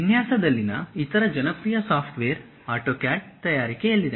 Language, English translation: Kannada, The other popular software in designing is in manufacturing AutoCAD